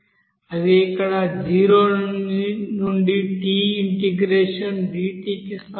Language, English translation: Telugu, That will be is equal to 0 to t as here dt